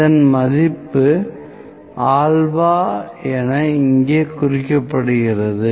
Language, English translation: Tamil, This value is known as is denoted as alpha here